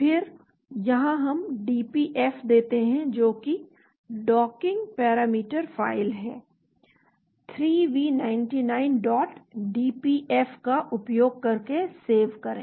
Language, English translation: Hindi, then here we give the dpf that is Docking Parameter File using 3V99